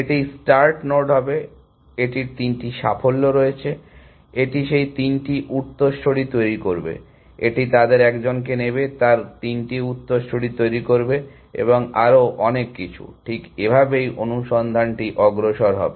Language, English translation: Bengali, will be the start node, it has three successes, it would generate those three successors; it will take one of them, generate its three successors and so on and so forth, that is how search will progress